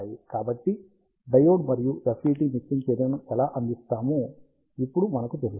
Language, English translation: Telugu, So, now we know that our diode and FET provide mixing action